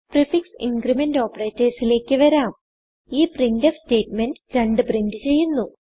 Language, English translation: Malayalam, We now come to the prefix increment operators This printf statement prints 2 on the screen